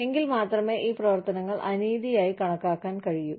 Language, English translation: Malayalam, Only then, can these activities, be considered as unethical